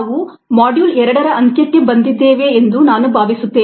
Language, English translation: Kannada, i think we have come to the end of a module two